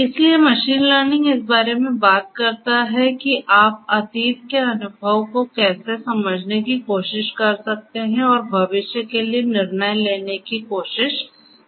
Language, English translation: Hindi, So, machine learning talks about that how you can try to harness the experience from the past and try to make decisions for the future